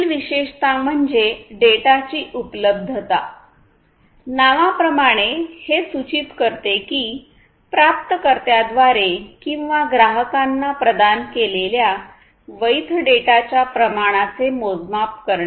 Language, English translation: Marathi, The next attribute is the data availability and availability as this name suggests it is a measurement of the amount of valid data provided by the by the sender or the producer to the receiver or the consumer